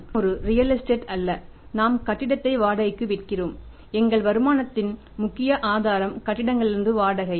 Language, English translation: Tamil, We are not a real estate come that we have construction the building rent them out and major source of our income is the rent from the buildings